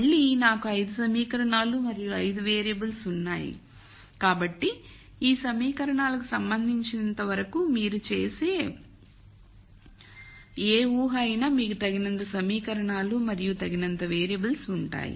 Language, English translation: Telugu, So, again I have 5 equations and 5 variables So, whichever assumption you make as far as these equations are concerned you will have enough equations and enough variables